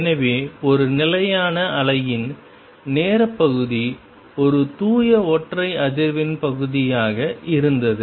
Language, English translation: Tamil, So, time part of a stationary wave was a pure single frequency part right